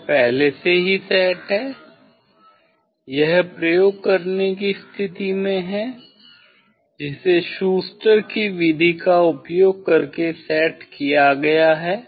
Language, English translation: Hindi, this set up is already it is in the condition of doing experiment means using the Schuster s method